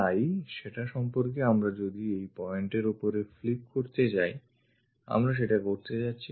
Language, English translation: Bengali, So, about that we are going to flip it, above these points we are going to flip it